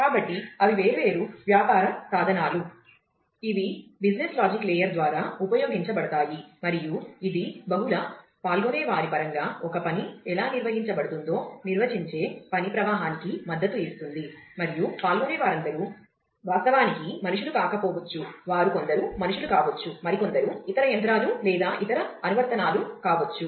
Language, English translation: Telugu, So, those are the different business tools, which will be employed by the business logic layer, and it will support a work flow which defines how a task will be carried out in terms of the multiple participants, and remember that all participants may not actually be human beings, they could be some could be human being some could be other machines or other applications as well